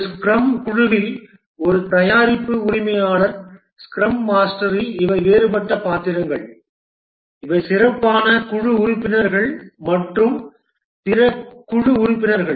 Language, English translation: Tamil, In a scrum team, there are the product owner who is one of the team members, the scrum master who is another team member and the other team members